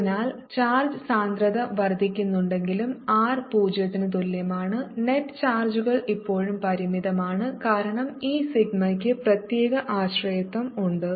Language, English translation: Malayalam, so although the charge density is blowing up at r, equal to zero, the net charges is still finite because of the particular dependence that this sigma has